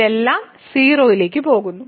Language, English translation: Malayalam, So, this everything goes to 0